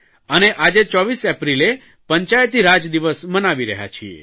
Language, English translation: Gujarati, This is observed as Panchayati Raj Day in India